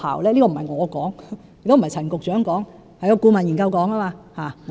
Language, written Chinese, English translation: Cantonese, 這並非我所說，亦非陳局長所說，而是顧問研究說的。, This is neither my opinion nor that of Secretary Frank CHAN but the opinion of the consultancy study